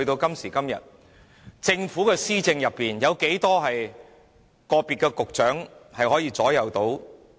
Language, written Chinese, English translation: Cantonese, 今時今日，政府有多少局長可以左右施政？, Nowadays how many bureau directors can still have the say in their own portfolios?